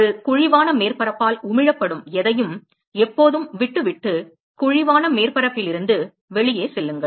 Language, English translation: Tamil, Whatever is emitted by a concave surface always leave, and go out of the concave surface